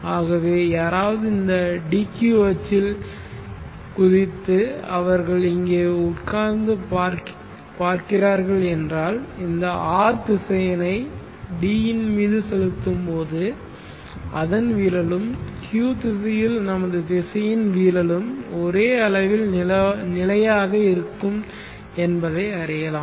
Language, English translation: Tamil, So if some1 were to jump on to this DQ axis and then they are sitting on here and viewing always the projection of this R vector onto the D axis is a constant projection of our vector under the Q axis is a constant